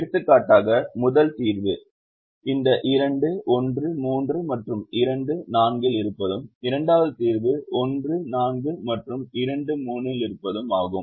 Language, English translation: Tamil, for example, the first solution is about having these two one three and two four are in the solution